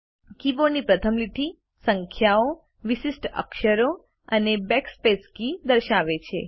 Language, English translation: Gujarati, The first line of the keyboard displays numerals, special characters, and the Backspace key